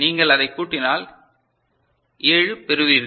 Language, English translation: Tamil, And if you sum it up it will you will get 7